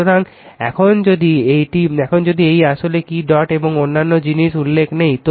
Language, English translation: Bengali, So, if you now this is actually what dots and other things not mentioned